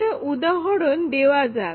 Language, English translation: Bengali, Now, let us look at a new example